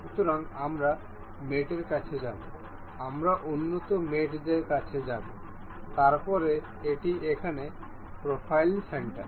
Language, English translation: Bengali, So, we will go to mate, we will go to advanced mates; then, this is profile center over here